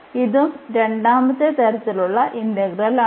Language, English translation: Malayalam, So, this is another for the second kind of integral